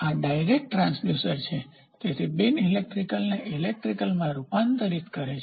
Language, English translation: Gujarati, So, this is a direct transducer direct transducer; so, converts non electrical into electrical